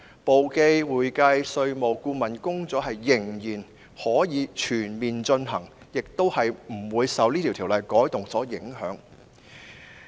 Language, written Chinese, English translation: Cantonese, 簿記、會計、稅務和顧問工作依然可以全面進行，亦不會受《條例草案》的修訂影響。, Bookkeeping accounting taxation and consultancy work can still be carried out in a comprehensive way and will not be affected by the amendments proposed in the Bill